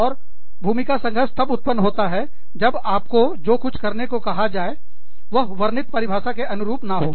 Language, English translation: Hindi, And, role conflict occurs, when you are asked to do something, that is not in line, with this description